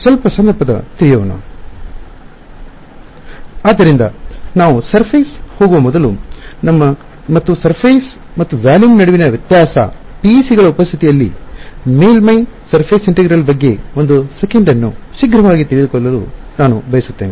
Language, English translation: Kannada, So, before we go into surface and the difference between surface and volume, I want to take a quick aside, one sec, about surface integral equations in the presence of PECs